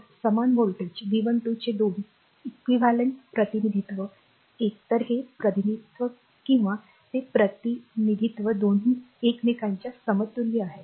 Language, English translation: Marathi, So, 2 equivalent representation of the same voltage V 1 2 either this representation or that representation both are equivalent to each other right